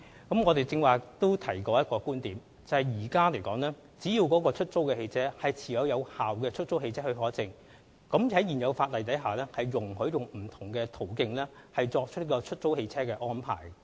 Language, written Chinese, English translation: Cantonese, 我剛才曾提到一個觀點，就是只要出租汽車持有有效的出租汽車許可證，現行法例容許利用不同途徑作出出租汽車安排。, I mentioned one point just now and that is if the cars for hire have valid HCPs they are permitted by the existing law to make hire car arrangements through various channels